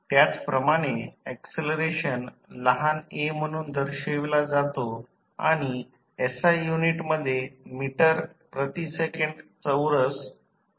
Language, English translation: Marathi, Similarly, acceleration is represented with small a and the SI unit is meter per second square